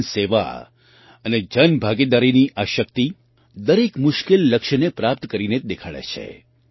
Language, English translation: Gujarati, This power of public service and public participation achieves every difficult goal with certainty